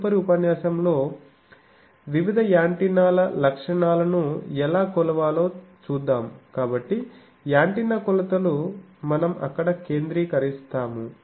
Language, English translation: Telugu, In the next lecture, we will see what is the how to measure various antennas characteristics, so antenna measurements we will concentrate there